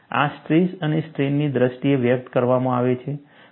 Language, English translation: Gujarati, This is expressed in terms of stress and strain